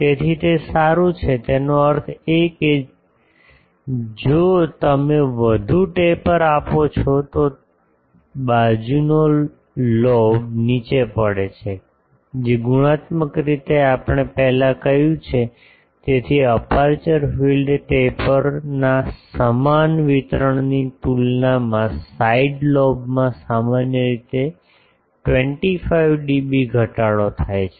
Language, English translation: Gujarati, So, that is good; that means, if you give more taper the side lobe falls down which qualitatively we said earlier; so, compared to uniform distribution of the aperture field taper gives 25 dB reduction in side lobe typically